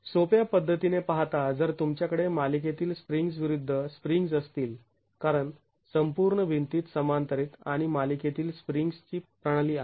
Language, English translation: Marathi, So, in a simplistic manner looking at if you have springs in parallel versus springs in series, because in the whole wall it is a system of springs in parallel and series